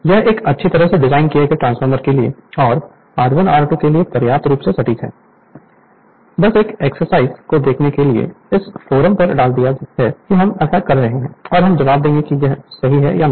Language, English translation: Hindi, This is sufficiently accurate for a well designed transformer and for R 1 R 2, just an exercise for you just you see you know you put the you put in on the forum that sir we are doing like this and we will we will we will give the answer whether you are correct or not right